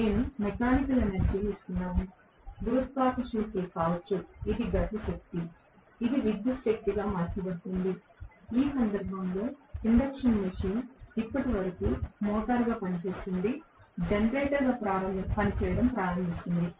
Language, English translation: Telugu, I am giving mechanical energy with the help of may be the gravitational pull, which is a kinetic energy that can be converted into electrical energy in which case the induction machine until now what was operating as a motor will start functioning as a generator